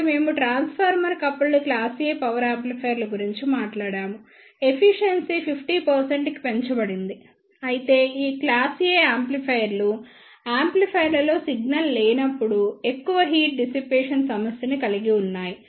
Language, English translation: Telugu, Then we talked about the transformer coupled class A power amplifiers the efficiency has been increased to 50 percent, but these class A amplifiers surfers with large heat dissipation when the signal is not present in the amplifier